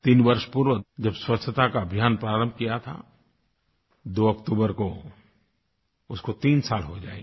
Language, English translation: Hindi, The campaign for Cleanliness which was initiated three years ago will be marking its third anniversary on the 2nd of October